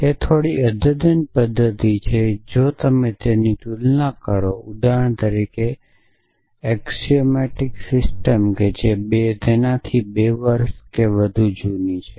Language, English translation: Gujarati, So, it is a fairly recent method if you compare it with for example, free gaze axiomatic system which is more than 2 years old